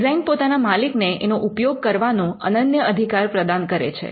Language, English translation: Gujarati, A design offers an exclusive right to the owner